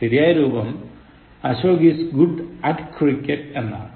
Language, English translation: Malayalam, The correct form is Ashok is good at cricket